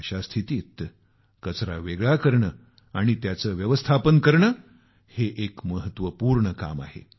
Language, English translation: Marathi, In such a situation, the segregation and management of garbage is a very important task in itself